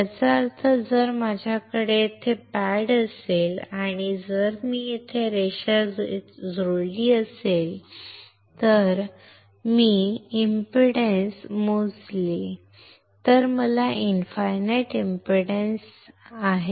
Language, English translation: Marathi, That means, if I if I have a pad here and if I connect this line here andt if I measure the impedance I have infinite impedance